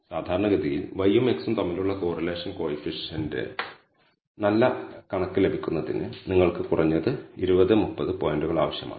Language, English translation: Malayalam, Typically in order to get a good estimate of the correlation coefficient between y and x you need at least 20 30 points